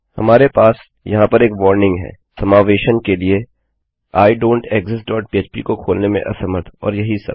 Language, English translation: Hindi, We have another warning here Failed to open idontexist dot php for inclusion and all of this